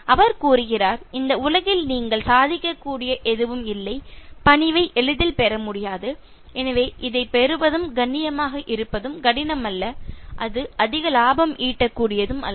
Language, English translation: Tamil, He says, there is no accomplishment nothing you can achieve in this world so easy to acquire as politeness, so acquiring this is not difficult being polite and none more profitable